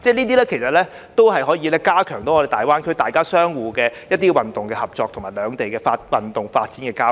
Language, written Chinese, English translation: Cantonese, 這些活動也可以加強與大灣區的運動合作及兩地的運動發展和交流。, These activities can also enhance sports cooperation with GBA and the development and exchange of sports between the two places